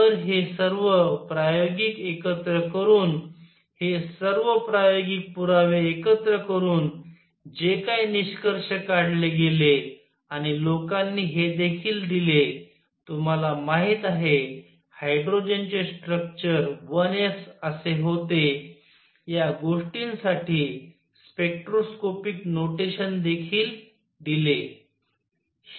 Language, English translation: Marathi, So, combining all these experimental, combining all these experimental evidences what was concluded and people also gave you know spectroscopic notation to things that hydrogen had a structure of 1 s